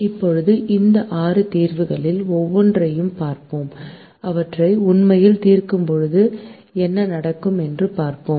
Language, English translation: Tamil, now let us look at each one of these six solutions and see what happens when we actually solve them